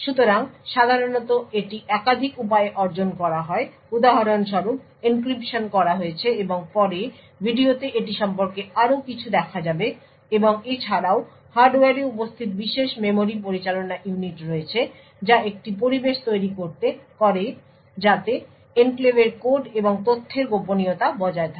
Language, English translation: Bengali, So typically this is achieved by multiple ways for example there is encryption which is done and will see more about it later in the video and also there is special memory management units present in the hardware which creates an environment so that confidentiality of the code and data in the enclave is achieved